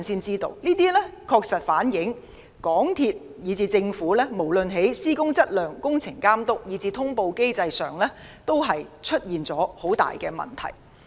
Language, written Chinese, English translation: Cantonese, 這些確實反映港鐵公司和政府，無論在施工質量、工程監督，以及通報機制上，均有缺失。, It demonstrates categorically the deficiencies of MTRCL and the Government in terms of works quality works supervision and the reporting mechanism